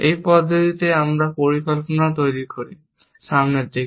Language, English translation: Bengali, In this manner, we construct the plan also, in a forward direction